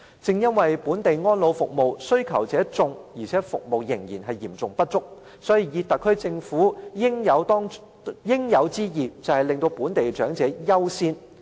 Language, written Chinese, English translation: Cantonese, 正因為本地安老服務需求者眾，但服務嚴重不足，所以特區政府的應有之義，就是讓本地長者優先享受服務。, Precisely because of the intense local demand for elderly care services and the acute shortage of such services the SAR Government is duty - bound to let elderly persons in Hong Kong to enjoy the services first